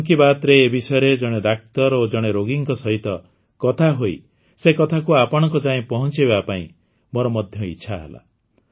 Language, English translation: Odia, Why not talk about this in 'Mann Ki Baat' with a doctor and a patient, communicate and convey the matter to you all